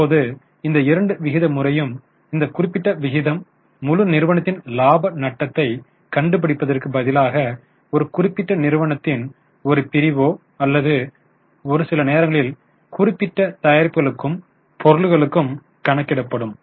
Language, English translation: Tamil, Now both this, now this particular ratio, instead of finding for the whole company, it can be calculated for a particular division or particular range of products or sometimes on a single product